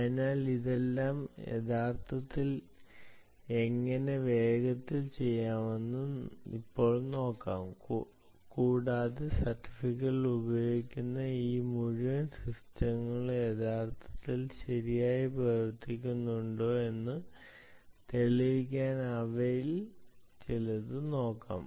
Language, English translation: Malayalam, so lets now see, ah, how all of this is actually done, ah quickly and we can also look at some of the ah to actually demonstrate whether this whole system using certificates actually ah work very well, all right